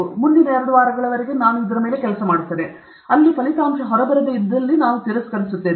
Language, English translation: Kannada, So, you say the next two three weeks I will work, if it is not coming out, I will discard